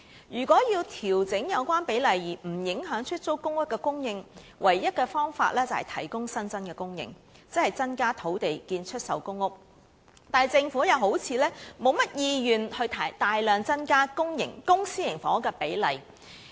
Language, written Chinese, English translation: Cantonese, 如果要調整有關比例而不影響出租公屋的供應，唯一方法是增加供應，即提供更多土地興建出售公屋，但政府又好像沒有甚麼意願大量增加公、私營房屋的比例。, To adjust the relevant ratio without affecting the supply of PRH the only way is to increase supply ie . to provide more land for the construction of public housing for sale but the Government seems to have no intention to substantially increase the ratio of public to private housing